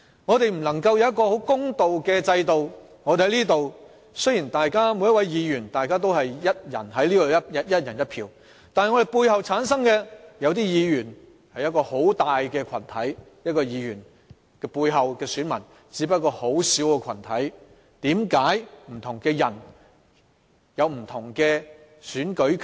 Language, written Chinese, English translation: Cantonese, 我們未能享有一個公平的制度，雖然立法會的每一位議員在進行表決時能享有"一人一票"的權利，但一些議員本身背後有一個很大的群體支持，而有些議員背後的選民只不過是一個很小的群體，為何不同的人會有不同的選舉權？, We are denied a fair system . Irrespective of the fact that every Legislative Council Member is entitled to the right of one person one vote in voting some Members are backed up by huge groups of people while some are supported by very small groups of voters . Why that different people have different voting rights?